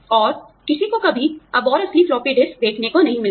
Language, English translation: Hindi, And, nobody ever gets to see, the real floppy disks, anymore